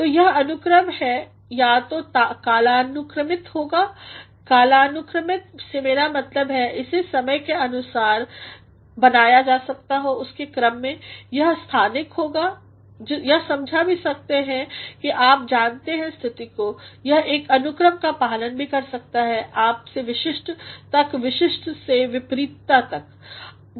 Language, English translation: Hindi, So, this ordering can either be chronological by chronology I mean it can be made into a sequence of time, it also can be spatial, it can also explain you know the space, it can also follow one ordering as to from general to particular and from the particular to the vice versa